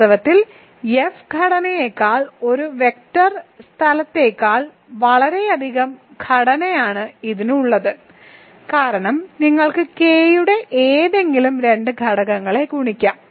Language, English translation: Malayalam, In fact, it has a lot more structure than a vector space over F structure because you can multiply any two elements of K